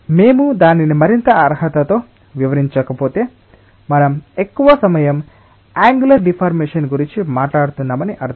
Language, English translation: Telugu, if you do not detail it with a further qualification, we implicitly, most of the times mean that we are talking about angular deformation